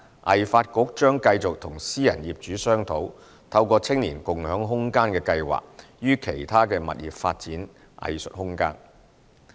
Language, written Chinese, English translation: Cantonese, 藝發局將繼續與私人業主商討，透過"青年共享空間計劃"於其他物業發展藝術空間。, HKADC will continue to negotiate with private property owners to develop arts space in other properties under SSSY